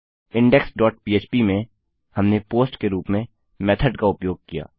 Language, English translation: Hindi, In index dot php, we used the method as POST